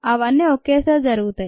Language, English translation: Telugu, they all simultaneously occur